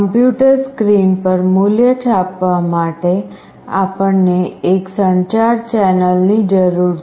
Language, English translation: Gujarati, To print the value on the PC screen, we need a communication channel